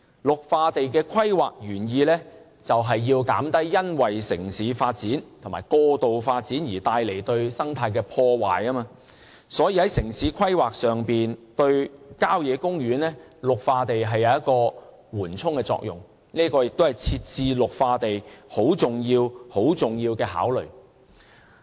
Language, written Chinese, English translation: Cantonese, 綠化地的規劃原意便是要減低因為城市發展和過度發展而對生態帶來的破壞，所以，在城市規劃上，綠化地有緩衝的作用，這亦是設置綠化地很重要的考慮。, The original intent of green belt planning is to mitigate damages to ecology due to city development and excessive development . Hence in terms of town planning green belts can serve as buffer zones and this function is also a highly significant consideration for setting up green belts